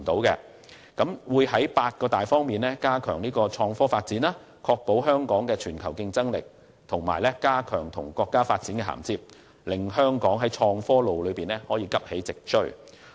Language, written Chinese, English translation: Cantonese, 政府會在八大方面加強創科發展，確保維持香港的全球競爭力，並加強與國家發展的銜接，令香港在創科路上急起直追。, The Government will strengthen IT development in eight major areas to ensure that Hong Kong can maintain its global competitiveness and enhance our alignment with the development of our country with a view to catching up in the IT race